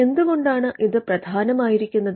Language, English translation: Malayalam, Now why is this important